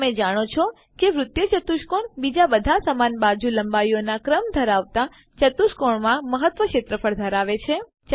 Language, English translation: Gujarati, Do you know , that the cyclic quadrilateral has maximum area among all the quadrilaterals of the same sequence of side lengths